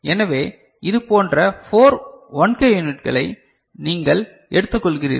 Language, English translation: Tamil, So, you take 4 such 1K units